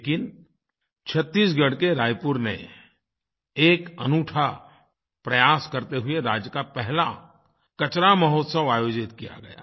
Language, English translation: Hindi, But in a unique endeavor in Raipur, Chhattisgarh, the state's first 'Trash Mahotsav' was organized